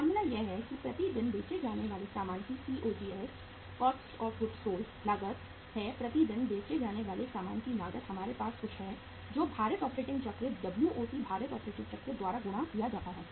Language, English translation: Hindi, Formula is that is COGS cost of goods sold per day, cost of goods sold per day multiplied by we have to have something here that is multiplied by the weighted operating cycle WOC weighted operating cycle